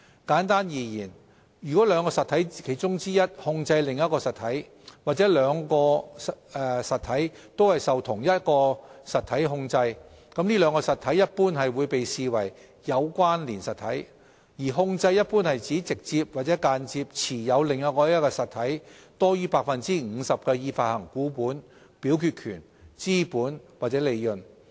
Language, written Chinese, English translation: Cantonese, 簡單而言，如果兩個實體中之其一控制另一實體，或兩者均受同一實體控制，該兩個實體一般會被視為"有關連實體"；而"控制"一般指直接或間接持有另一實體多於 50% 的已發行股本、表決權、資本或利潤。, Simply put two entities are generally regarded as connected entities if one of them has control over the other or both of them are under the control of the same entity . Control generally refers to holding directly or indirectly more than 50 % of the issued share capital voting rights capital or profits in another entity